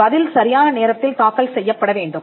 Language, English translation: Tamil, The response has to be filed on time